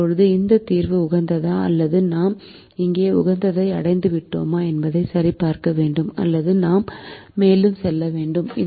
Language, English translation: Tamil, now we have to check whether this solution is optimum or we have reached the optimum here, or do we need to go further